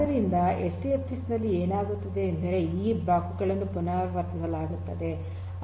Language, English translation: Kannada, So, what happens in HDFS is this blocks are replicated